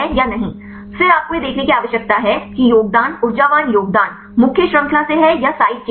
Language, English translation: Hindi, Right, then you need to see whether the contribute energetic contributions are from the main chain or from the side chain